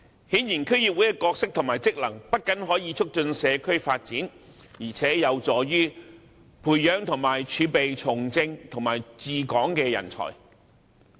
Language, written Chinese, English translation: Cantonese, 顯然，區議會的角色及職能不僅可以促進社區發展，而且有助於培養和儲備從政和治港的人才。, Obviously the role and functions of DCs do not only facilitate community development but are also conducive to nurturing and maintaining a pool of talents for the political arena and for ruling Hong Kong